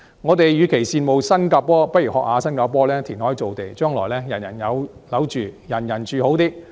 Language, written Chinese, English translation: Cantonese, 我們與其羨慕新加坡，不如效法新加坡填海造地，將來人人有樓住，人人住好些。, Instead of envying Singapore we should follow its example of creating land through reclamation so as to provide housing with better living conditions to everybody in the future